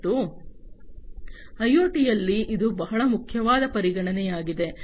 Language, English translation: Kannada, And this is a very important consideration in IoT